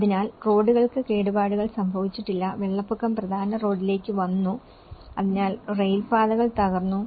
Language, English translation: Malayalam, So, hardly the roads have been damaged, the flood water came onto the main road, so railways have been damaged